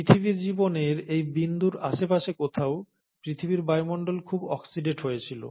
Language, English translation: Bengali, So it is at this point somewhere in earth’s life that the earth’s atmosphere became highly oxidate